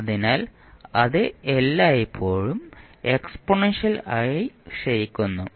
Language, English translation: Malayalam, So, it will always be exponentially decaying